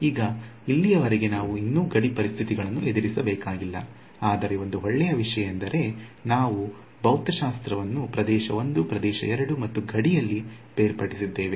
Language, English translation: Kannada, Now, even so far we have yet to encounter r boundary conditions so, but the good thing is that we have separated the physics into region 1 region 2 and one term on the boundary